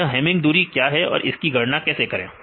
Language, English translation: Hindi, So, what is hamming distance how to calculate the hamming distance